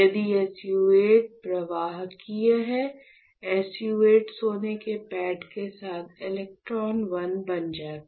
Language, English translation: Hindi, So, that SU 8 and the gold pad below SU 8 will become electrode 1 ok